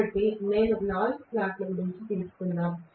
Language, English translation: Telugu, So, let me take maybe about 4 slots